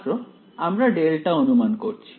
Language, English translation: Bengali, We are assuming is delta